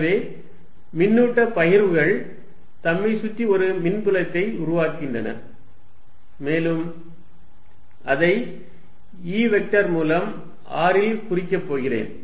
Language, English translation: Tamil, So, charge distributions creating an electric field around itself and I am going to denote it by E vector at r